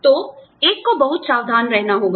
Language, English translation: Hindi, So, one has to be, very careful